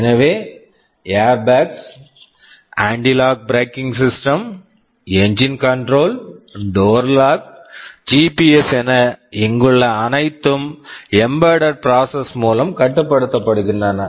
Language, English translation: Tamil, So, airbags, anti lock braking systems, engine control, door lock, GPS, everything here these are controlled by embedded processors